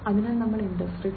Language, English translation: Malayalam, So, when we talk about industry 4